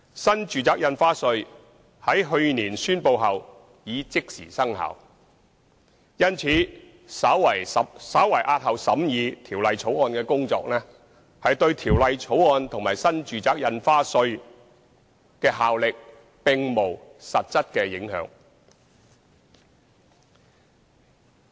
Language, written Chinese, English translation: Cantonese, 新住宅印花稅在去年宣布後已即時生效；因此，稍為押後《條例草案》的審議工作，對《條例草案》和新住宅印花稅的效力並無實質影響。, As the New Residential Stamp Duty NRSD has come into operation immediately after its announcement last year a slight delay in the scrutiny of the Bill will not have material effect on the effectiveness of the Bill and NRSD